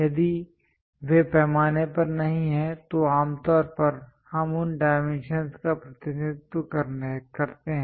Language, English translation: Hindi, If those are not to up to scale then usually, we represent those dimensions